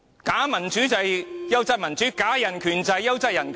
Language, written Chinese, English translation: Cantonese, 假民主便是"優質民主"，假人權便是"優質人權"。, Fake democracy is quality democracy . Fake human rights are quality human rights